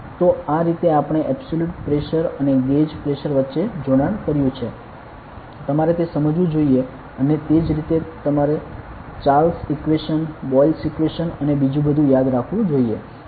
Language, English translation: Gujarati, So, this is how we connected between absolute Pressure and Gauge Pressure ok, you should understand that and similarly, you must also remember the Charles equation Boyle’s equation and everything ok